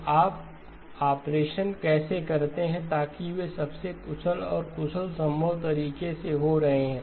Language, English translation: Hindi, So how do you do the operation so that those are happening in the most efficient and efficient possible manner